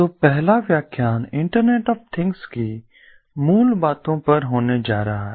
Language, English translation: Hindi, so the first lecture is going to be on the basics of internet of things